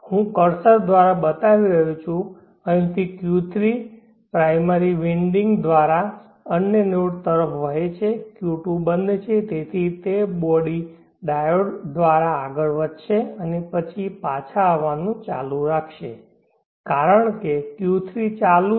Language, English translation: Gujarati, I am showing through the cursor from here Q3 through the primary winding flows to the other node, Q2 is off therefore it will go up through the body diode and then keeps coming back because Q3 is on